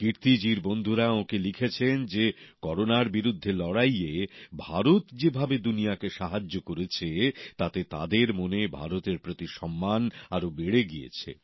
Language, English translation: Bengali, Kirti ji's friends have written to her that the way India has helped the world in the fight against Corona has enhanced the respect for India in their hearts